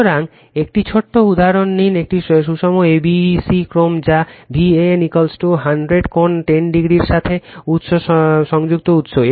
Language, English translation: Bengali, So, take an small example a balanced abc sequence that is star connected source with V an is equal to 100 angle 10 degree